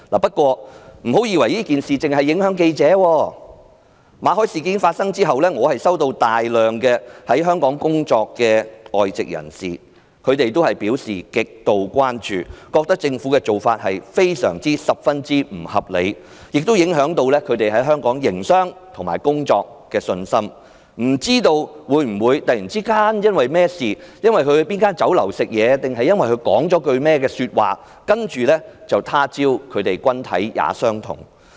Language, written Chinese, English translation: Cantonese, 不過，不要以為這件事只會影響記者，馬凱事件發生後，在香港工作的很多外籍人士均向我表示極度關注，他們覺得政府的做法非常不合理，亦影響到他們在香港營商及工作的信心，擔心會否有朝一日因為甚麼事情、在哪家酒樓吃飯還是說了甚麼話，接着就"他朝君體也相同"？, Nevertheless do not think that this incident only affects journalists . In the aftermath of the Victor MALLET incident many expatriates working in Hong Kong have told me about their concern . They find the Governments practice extremely unreasonable and their confidence in the business and working environment in Hong Kong has been affected